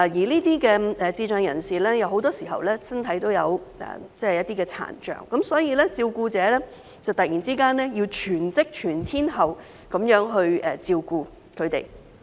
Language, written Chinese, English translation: Cantonese, 這些智障人士很多身體都有殘障，所以照顧者要突然全職、全天候地照顧他們。, Since many of these persons with intellectual disabilities PIDs are also physically impaired carers have to take care of them full - time and round - the - clock all of a sudden